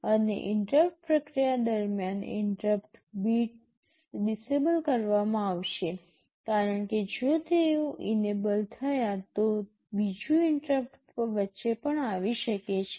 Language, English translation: Gujarati, And during interrupt processing, the interrupt bits will be disabled because if they are enabled then another interrupt may come in between also